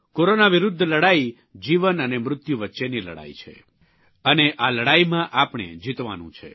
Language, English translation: Gujarati, The fight against Corona is one between life and death itself…we have to win